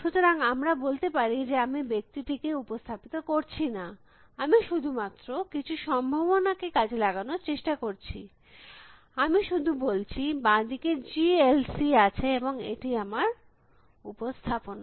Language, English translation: Bengali, So, let us say I do not represent the man; I am just trying to explore different possibilities, I just say left G L C and this is my representation